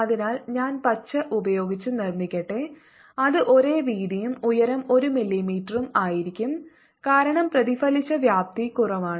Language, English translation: Malayalam, so let me make with green: it's going to be the same width and the height is going to be one millimeter